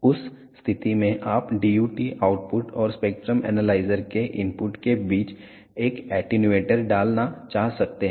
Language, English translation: Hindi, In that case you may want to put an attenuator in between the DUT output and the input of the spectrum analyzer